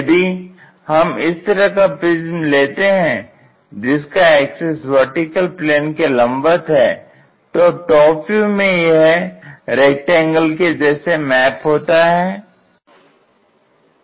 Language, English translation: Hindi, If we are looking at this kind of prism then everything the axis is perpendicular to vertical plane then what we will see is a rectangle here and here it also maps to rectangle